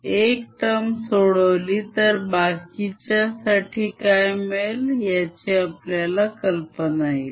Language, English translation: Marathi, lets calculate one of the terms and that'll give us an idea what the other terms will be like